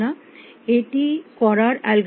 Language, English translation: Bengali, What would be an algorithm for doing this